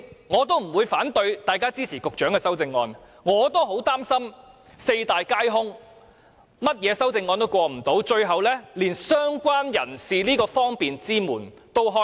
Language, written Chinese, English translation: Cantonese, 我不會反對大家支持局長的修正案，我也擔心會四大皆空，所有修正案都無法通過，最後連"相關人士"這扇方便之門也無法打開。, I have no objection to Members supporting the Secretarys amendments . I am also worried that all of the amendments would come to naught and be ultimately negatived in which case even the convenience provided by the category of related person could not be made possible